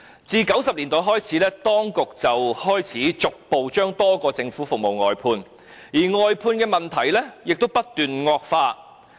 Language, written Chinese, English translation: Cantonese, 自1990年代開始，當局便開始逐步把多項政府服務外判，而外判的問題亦不斷惡化。, Since the 1990s the authorities have been progressively outsourcing many government services and the problems of outsourcing have been worsening